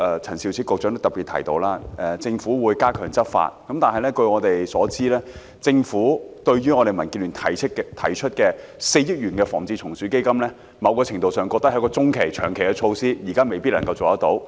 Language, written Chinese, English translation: Cantonese, 陳肇始局長剛才也特別提到，特區政府會加強執法，但據我們所知，政府認為民建聯提出的4億元"防治蟲鼠基金"，在某個程度上來說，是一項中、長期措施，現在未必能夠辦到。, Just now Secretary Prof Sophia CHAN specifically said that the SAR Government would enhance enforcement actions . But as far as we know the Government considers that to a certain extent the 400 million pest control fund proposed by DAB is just a medium to long - term measure that is to say it may not be implemented immediately